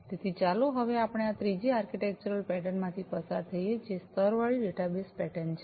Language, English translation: Gujarati, So, now let us go through this third architectural pattern, which is the layered databus pattern